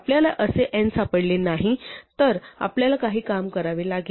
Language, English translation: Marathi, If we have not found such an n we have to do some work